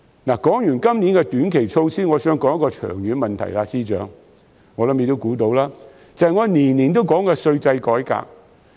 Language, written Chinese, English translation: Cantonese, 說罷今年的短期措施，我想談一個長遠問題，相信司長也估到，就是我每年都會提出的稅制改革。, After talking about the short - term measures of this year I would like to talk about a long - term issue . I believe FS should be able to guess that it is tax reform which I have been proposing year after year